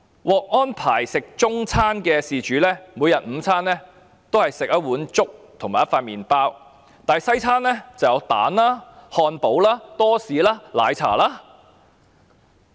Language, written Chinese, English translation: Cantonese, 獲安排吃中餐的事主，每天的午餐也是一碗粥和一片麵包，但西餐卻有雞蛋、漢堡、多士和奶茶。, The applicant in this case who was arranged to take Chinese meals had a bowl of congee and a slice of bread for lunch every day but those taking Western meals had eggs hamburger toast and tea with milk